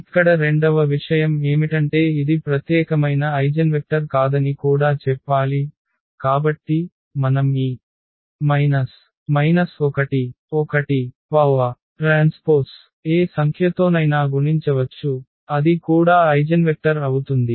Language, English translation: Telugu, Second point here which also needs to be mention that this is not the unique eigenvector for instance; so, we can multiply by any number to this minus 1 1 that will be also the eigenvector